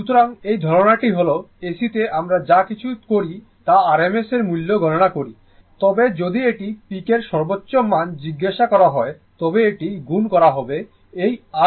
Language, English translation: Bengali, So, that that is the idea that in AC AC AC anything we calculation anything we do that is on rms value, but if it is ask the peak value, it will be multiplied by this your what you call root 2 right